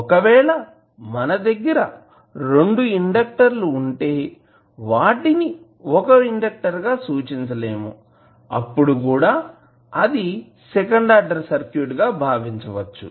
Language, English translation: Telugu, Now, if you have a 2 inductors and you cannot simplify this circuit and represent as a single inductor then also it can be considered as a second order circuit